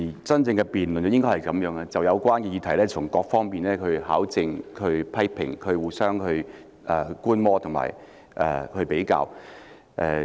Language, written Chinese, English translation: Cantonese, 真正的辯論應該如此，就有關議題從各方面考證、批評，互相觀摩和比較。, A true debate should be like this where verification criticism mutual observation and comparison took place covering various aspects of the subject matter